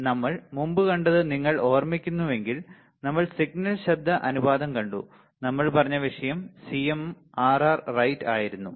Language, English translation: Malayalam, So, if you recall what we have seen earlier we have seen signal to noise ratio, and what is our said topic the topic was CMRR right